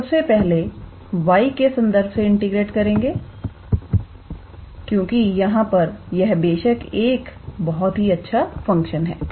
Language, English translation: Hindi, We would integrate with respect to y first, because here this is obviously, a very nice behaving function